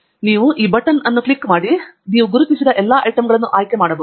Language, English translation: Kannada, so you can click on this button here where you can select all items that you have identified